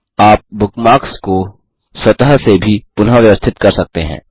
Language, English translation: Hindi, You can also sort bookmarks automatically